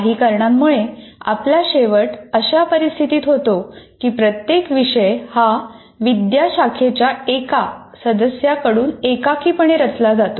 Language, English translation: Marathi, Somehow we have been ending up with this situation where each course is looked at by a faculty member almost in isolation